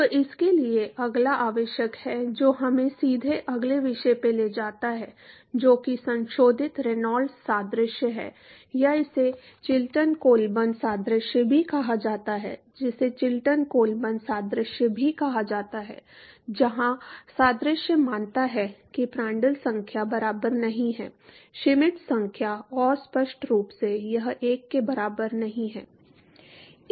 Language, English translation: Hindi, So, that requires next that takes us directly to the next topic which is the modified Reynolds analogy or it is also called as the Chilton Colburn analogy, also called as the Chilton Colburn analogy where the analogy assumes that Prandtl number is not equal to Schmidt number and obviously, it is not equal to 1